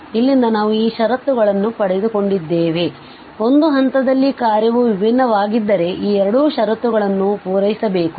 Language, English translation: Kannada, So, from here we got this conditions that, if the function is differentiable at a point, then these 2 conditions must be satisfied